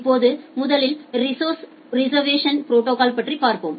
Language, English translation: Tamil, Now, let us first look into the resource reservation protocol